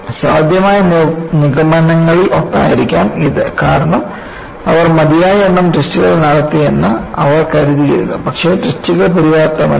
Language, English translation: Malayalam, So, that could be one of the possible conclusions because they had thought that they had done enough number of test, but the test were not sufficient